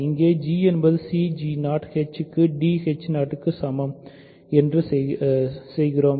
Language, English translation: Tamil, So, we do that here g is equal to c g 0 h equal to d h 0